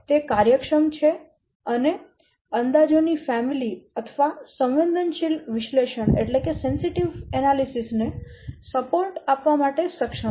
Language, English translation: Gujarati, It is efficient and able to support a family of estimations or a sensitive analysis